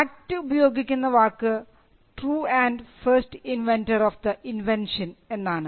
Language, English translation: Malayalam, The act uses the word true and first inventor of the invention